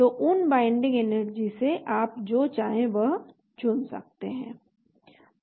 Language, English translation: Hindi, So from those binding energy, you can select whatever you want to